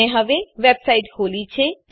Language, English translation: Gujarati, I have now opened a website